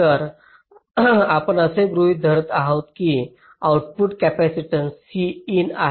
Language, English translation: Marathi, so we are assuming that the output capacitance is also c in